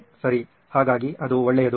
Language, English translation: Kannada, Okay, so that is a good thing